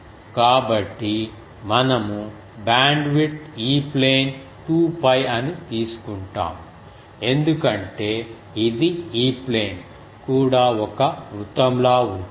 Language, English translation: Telugu, So, we will take band width E plane is 2 pi because it will be like a circle the E plane also